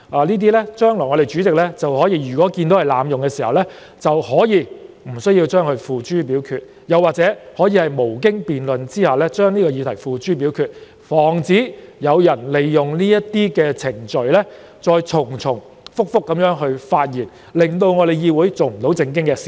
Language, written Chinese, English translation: Cantonese, 如果主席日後認為議員濫用這程序，可決定不提出該議案的待議議題或無經辯論而把議題付諸表決，防止有人利用這些程序重複發言，令議會無法做正經事。, If the President believes that any Member has abused the proceedings he may decide not to propose the question on the motion or to put the question forthwith without debate so as to prevent Members from hindering the conduct of business in the legislature by abusing such proceedings and giving speeches repeatedly